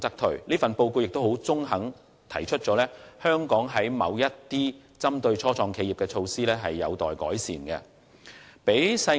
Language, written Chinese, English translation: Cantonese, 此外，這份報告亦很中肯地指出，香港某些針對初創企業的措施仍有待改善。, Furthermore the Report also fairly highlighted that there was room for improvement regarding certain local initiatives on start - ups